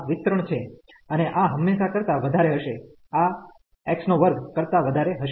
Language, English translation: Gujarati, And this will be greater than always greater than x square term